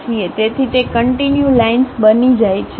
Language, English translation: Gujarati, So, those becomes continuous lines